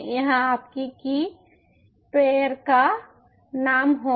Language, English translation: Hindi, this will be the name of your key pair